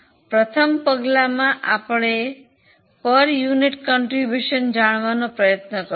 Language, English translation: Gujarati, First step I think you all know we want to know the contribution per unit